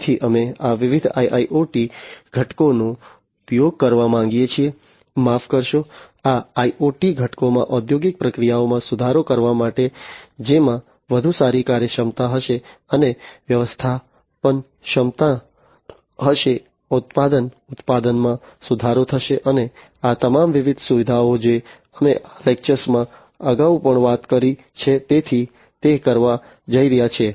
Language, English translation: Gujarati, So, we want to use these different IIoT components, sorry, in this IoT components in it in order to have improved industrial processes, which will have you know better efficiency, and manageability, product production is going to be improved and all these different features that we have talked about in this lecture earlier, so going to have that